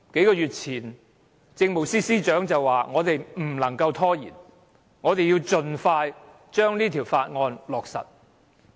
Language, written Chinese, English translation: Cantonese, 數月前，政務司司長表示不能拖延，要盡快通過《條例草案》。, A few months ago the Chief Secretary for Administration said that the Bill must be passed without delay